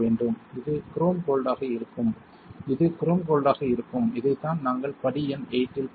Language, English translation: Tamil, This will be chrome gold this would be chrome gold alright this is what we are talking about in step number 8